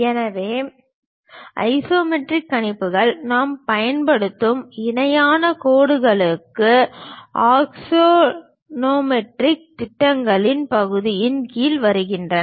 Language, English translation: Tamil, So, isometric projections come under the part of axonometric projections with parallel lines we use it